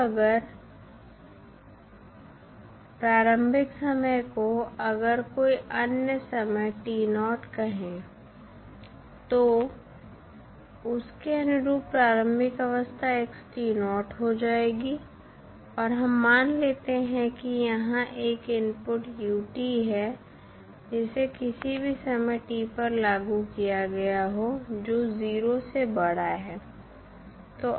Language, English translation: Hindi, Now, if initial time is say any other time t naught the corresponding initial state will now become xt naught and we assume that there is an input that is ut which is applied at any time t greater than 0